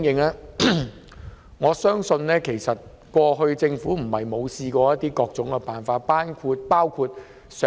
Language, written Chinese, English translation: Cantonese, 就此，我相信政府過去不是沒有想過各種辦法。, In this connection I do not believe that the Government has never contemplated any means